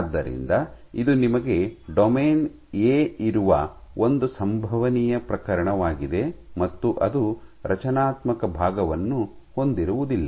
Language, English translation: Kannada, So, this is one possible case where you have a domain A, which does not have a structure part say